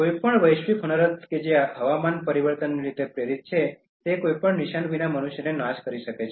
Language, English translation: Gujarati, Any global disaster that is induced because of climate change can wipe out human beings without any trace